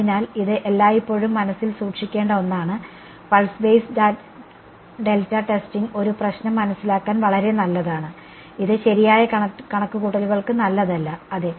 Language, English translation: Malayalam, So, this is something to always keep in mind pulse basis delta testing is very good for understanding a problem, it is not good foRactual calculations and yeah